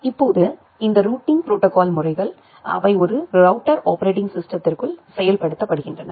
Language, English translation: Tamil, Now, this routing protocols, they are implemented inside a router OS